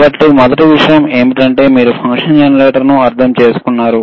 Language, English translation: Telugu, So, first thing is, you understand the function generator, very good